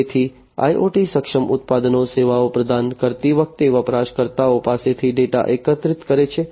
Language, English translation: Gujarati, So, IoT enabled products collect data from the users, while providing services